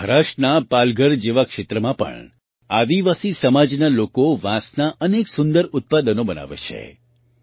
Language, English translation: Gujarati, Even in areas like Palghar in Maharashtra, tribal people make many beautiful products from bamboo